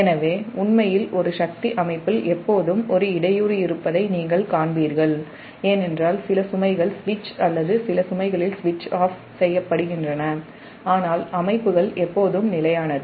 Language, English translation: Tamil, so actually in a power system you will find that there is always a disturbance because some loads are switch or switching on, some loads are switched off, but systems are always stable